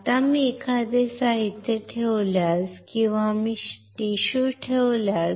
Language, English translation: Marathi, Now, if I place a material or if I place a tissue